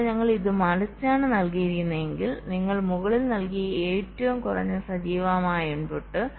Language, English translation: Malayalam, but if we put it the other way round, the least active input you put at the top